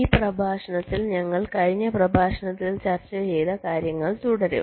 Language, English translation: Malayalam, so in this lecture we shall be continuing with what we were discussing during the last lecture